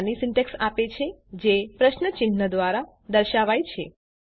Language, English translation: Gujarati, It Provides a short syntax and is denoted by a question mark